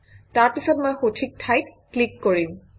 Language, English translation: Assamese, I will then click at the correct position